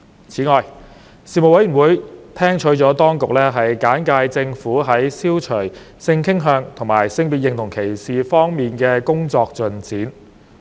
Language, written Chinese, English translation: Cantonese, 此外，事務委員會聽取了當局簡介政府在消除性傾向及性別認同歧視方面的工作進展。, Furthermore the Panel received the authorities briefing on the Governments progress of work in tackling discrimination on the grounds of sexual orientation and gender identity